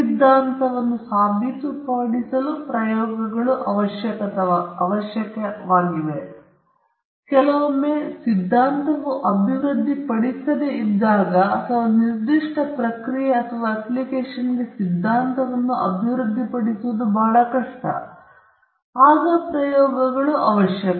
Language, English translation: Kannada, Experiments are necessary in order to prove the theory, and also, when sometimes theory is not developed or it’s very difficult to develop the theory for a particular process or application, then experiments are necessary